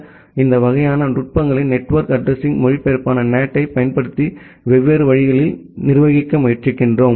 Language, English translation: Tamil, So, we are trying to manage with different ways like, using the network address translation NAT this kind of techniques that we discussed earlier